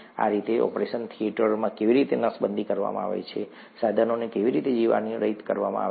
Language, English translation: Gujarati, That is how an operation theatre is sterilized, how the instruments are sterilized